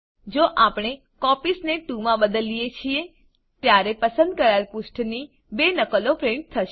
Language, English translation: Gujarati, If we change Copies to 2, then 2 copies of the selected pages will be printed